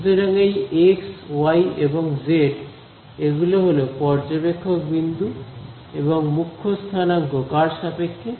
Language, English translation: Bengali, So, the x, y and z these are the observer points right and the prime coordinates corresponds to what